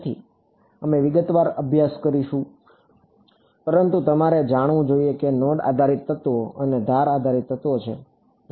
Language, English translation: Gujarati, So, we will we will studied in detail, but you should know that there are node based elements and edge based elements